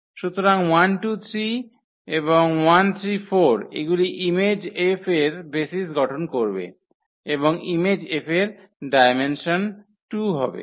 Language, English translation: Bengali, So, 1 2 3 and 1 3 4 these will form the basis of the image F and the dimension of the image F is 2